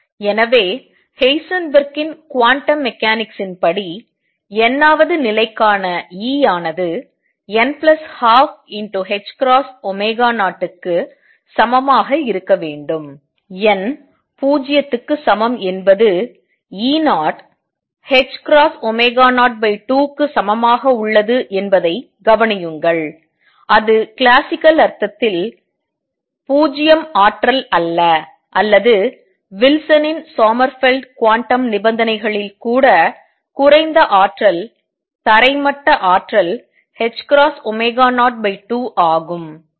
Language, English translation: Tamil, So, according to Heisenberg’s quantum mechanics then we get E for the nth level to be equal to n plus a half h cross omega 0 notice n equal to 0 gives E 0 to the h cross omega 0 x 2 it is not 0 energy as in the classical sense or even in Wilsons Sommerfeld quantum conditions the lowest energy the ground state energy is h cross omega 0 by 2